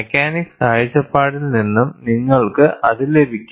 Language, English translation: Malayalam, From mechanics point of view also, you could get this